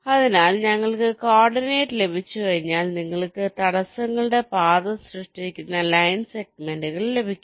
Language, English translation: Malayalam, ok, so once we have the coordinate, you can get the line segments that constitute the, the path of the obstacles